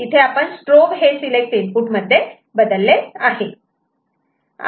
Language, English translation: Marathi, So, strobe we are converting to a select input ok